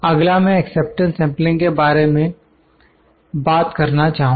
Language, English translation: Hindi, Next, I will like to talk about the acceptance sampling